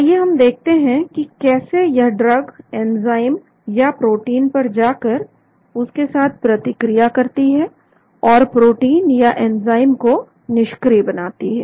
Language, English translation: Hindi, Now let us look at how that drug goes and acts on enzyme or protein and makes the protein or enzyme inactive